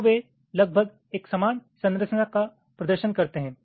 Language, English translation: Hindi, so they approximately represent a similar structure